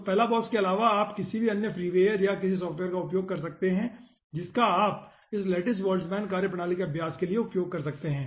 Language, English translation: Hindi, so, apart from balabos, you can try any other free wire or some software you can use for practicing this lattice boltzmann methodology